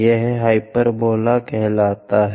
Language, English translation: Hindi, Let us call hyperbola